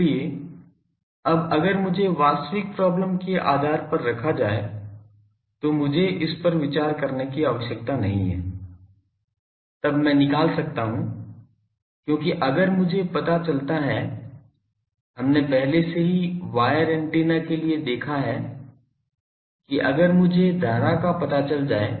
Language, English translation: Hindi, So now, I need not consider this so over the surface if I put based on the actual problem; then I can find out because if I can find out already we have seen for wire antennas that if I know this current